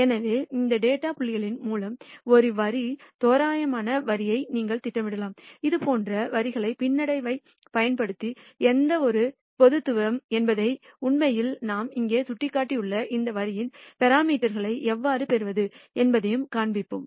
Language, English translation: Tamil, So, you can plot a line approximate line through these data points we will show how to fit such lines using regression and how to obtain the parameters of this line that we have actually indicated here